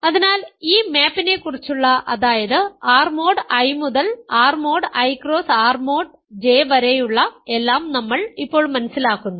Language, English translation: Malayalam, So, we understand now everything about this map R mod I to R to R mod I cross R mod J